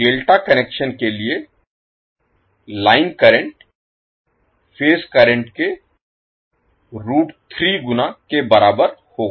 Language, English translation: Hindi, So for the delta connection the line current will be equal to root 3 times of the phase current